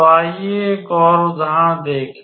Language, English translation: Hindi, So, let us consider an another example